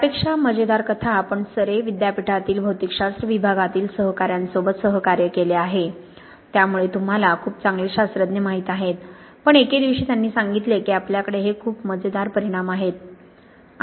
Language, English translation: Marathi, Rather funny story, we have collaboration with colleagues in the Department of Physics, University of Surrey, so you know very good scientists but one day they said we have these very funny results